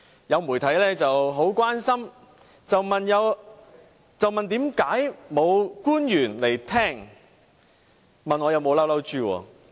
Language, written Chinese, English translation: Cantonese, 有媒體很關心地問道，為甚麼沒有官員出席聆聽，又問我有沒有生氣。, Some media organizations have asked me somewhat with concern why no officials are present here to listen to this debate and whether I am angry with this